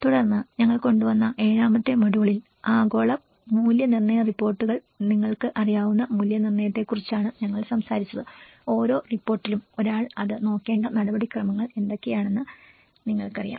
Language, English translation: Malayalam, Then in the seventh module we brought about, we talked about the assessments you know the global assessment reports and you know what are the procedures one has to look at it, each report have